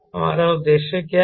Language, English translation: Hindi, what is our aim we are